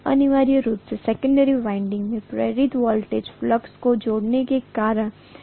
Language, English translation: Hindi, Essentially, the induced voltage in the secondary winding is because of the linking of flux